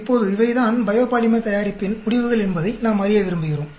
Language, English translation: Tamil, Now we want to know these are the results of the biopolymer production